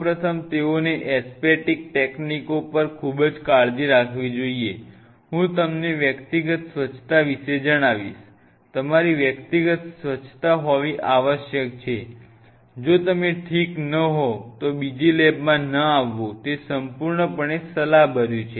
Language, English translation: Gujarati, First of all, they should be very careful about their point one on the aseptic techniques I will tell you about their personal hygiene this is must the must your personal hygiene, there is no compromise on it if you are not well it is absolutely advisable that do not come to lab second